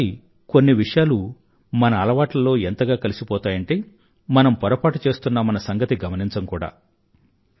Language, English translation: Telugu, Sometimes certain things become a part of our habits, that we don't even realize that we are doing something wrong